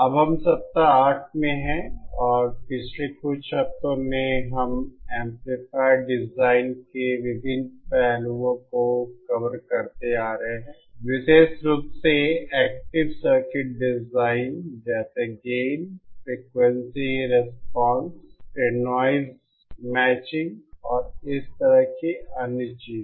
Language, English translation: Hindi, We are now in week eight and in the past few weeks we have been covered covering the various aspects of amplifier design, especially active circuit design like gain, then the frequency response then noise, matching and other things like that